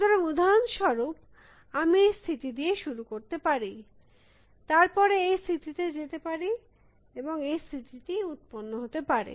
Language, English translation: Bengali, So, for example, I can start with this state, then go this state, then go this state and this state would have generated